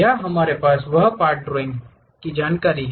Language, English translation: Hindi, Here we have that part drawing information